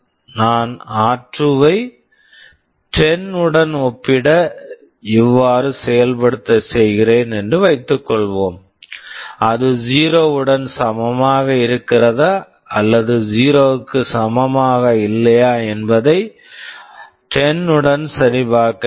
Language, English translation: Tamil, Suppose I implement like this I have to check r2 with 10, whether it is equal to 0 or not equal to 0